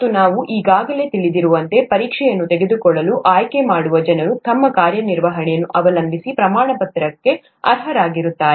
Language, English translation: Kannada, And as you would already know, the people who opt to take the exam are eligible for a certificate depending on their performance